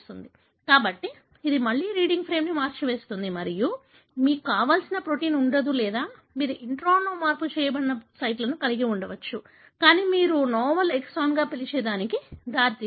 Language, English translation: Telugu, So, this would again shift the reading frame and you will not have the desired protein or you could have sites that are altered in the intron, but leading to what you call as a novel exon